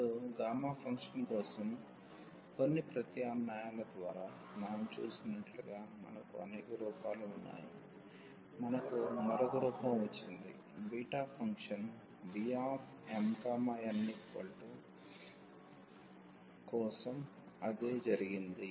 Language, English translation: Telugu, Now, we have also several different forms like we have seen just for the gamma function by some substitution we got another form, same thing happened for beta function